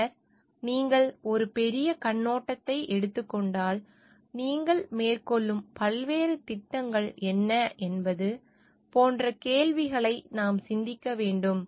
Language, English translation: Tamil, And then, if you take a larger perspective, we need to think of this questions like what are the various projects that you are undertaking